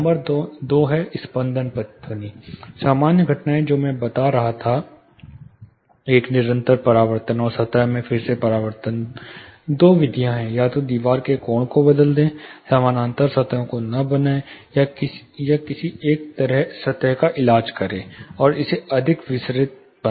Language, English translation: Hindi, Number two is flutter echo, common phenomena which I was telling, an incessant you know reflection and re reflection across the plane; two methods again change the angle of the wall, do not make parallel surfaces, or you do not have to treat both the surfaces, treat one of the surfaces and make it more diffusive